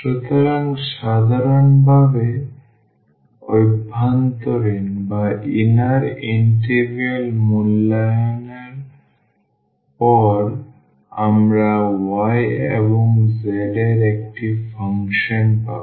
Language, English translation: Bengali, So, in general the after evaluation of the inner integral we will get a function of y and z